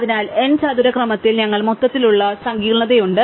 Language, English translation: Malayalam, So, we have an overall complexity of order n square